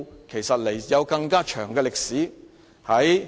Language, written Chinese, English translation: Cantonese, 其實，這個典故有更長的歷史。, The history of this allusion is actually much longer